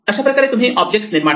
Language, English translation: Marathi, This is how you create objects